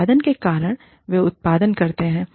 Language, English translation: Hindi, Because of the output, that they produce